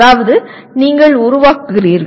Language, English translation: Tamil, That means you are creating